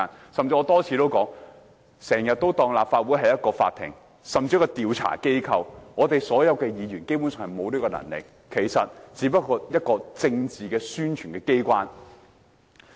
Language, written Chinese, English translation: Cantonese, 我甚至多次提到，有人經常把立法會當作一個法庭，甚至是調查機構，但議員其實沒有這權力，立法會只是一個政治宣傳的機關。, I have even said many times that some people are treating the Legislative Council as a court or an organization of investigation but in fact Members of the Legislative Council do not have such powers and the Legislative Council is being treated as an organ for political propaganda